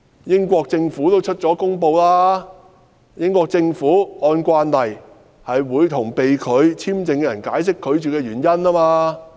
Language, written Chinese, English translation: Cantonese, 英國政府表示，英國政府按慣例，會向被拒簽證的人解釋拒絕的原因。, The British Government on the other hand said that it would in accordance with established practices explain to the person concerned why his application for visa was rejected